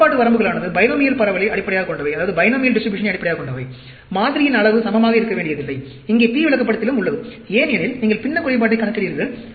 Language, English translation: Tamil, Control limits are based on the binomial distribution; sample size does not have to be equal, here in the P chart also, because you are calculating fraction defective